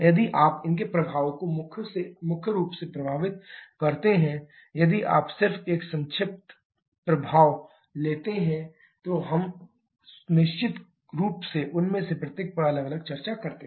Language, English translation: Hindi, If you combine their effect primarily effect of if you just take a summarised effect, we have of course discussed each of them separately